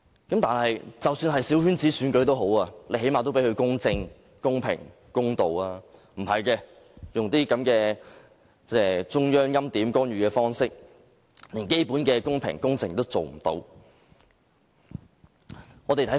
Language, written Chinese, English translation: Cantonese, 然而，即使是小圈子選舉，最低限度也要公正、公平、公道，但不是這樣，他們用這些中央欽點、干預的方式，以致選舉最基本的公平、公正都做不到。, But even though it is a coterie election it could at least be held in an equitable fair and impartial manner . But this is not the case . These personnel have interfered in the election through preordination by the Central Authorities such that the election cannot even be held under the most basic requirements of being fair and equitable